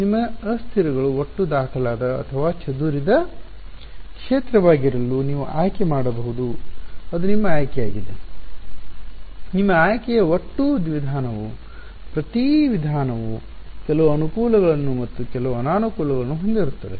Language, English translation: Kannada, You could choose to have your variables be either the total filed or the scattered field it is your choice, total your choice each method will have some advantages and some disadvantages